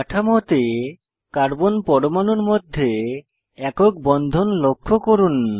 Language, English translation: Bengali, Observe the single bond between the carbon atoms in the structures